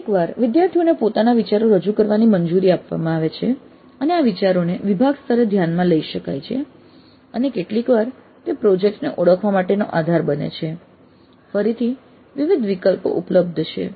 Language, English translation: Gujarati, Sometimes students are allowed to present their own ideas and these ideas can be considered at the department level and sometimes they will form the basis for identifying the projects